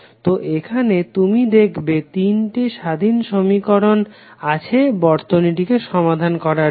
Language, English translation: Bengali, So here you will see that there are 3 independent equations we have created to solve this particular circuit